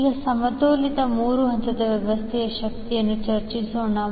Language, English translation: Kannada, Now let us discuss the power in the balance three phase system